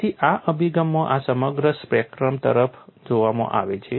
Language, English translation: Gujarati, So, this whole spectrum is looked at, in this approach